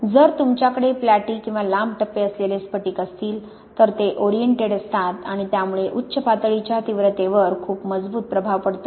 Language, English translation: Marathi, If you have crystals which are platy or long phases like this, they tend to be oriented and this can make a very, very strong impact on the intensity of the peak